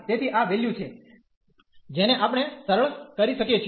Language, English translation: Gujarati, So, this is a value we can simplify this